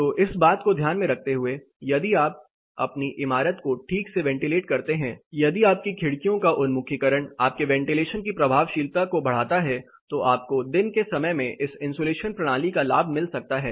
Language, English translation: Hindi, So keeping this in mind, if you ventilate your building properly, if your windows are so oriented and if you are ventilation effectiveness is much higher than you can have benefit of this insulation system during daytime